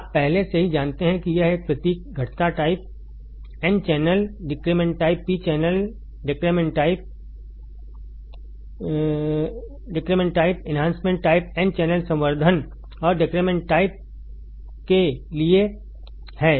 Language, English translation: Hindi, You already know this symbol is for the depletion type, n channel depletion type, p channel depletion type enhancement type, n channel enhancement and depletion type